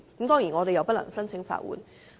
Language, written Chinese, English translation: Cantonese, 當然，我們不能夠申請法援。, Of course we cannot apply for legal aid